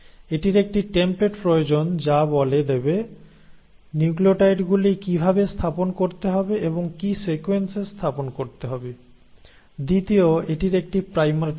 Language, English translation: Bengali, It needs, one it needs a template to tell how to put in and in what sequence to put in the nucleotides, the second is it requires a primer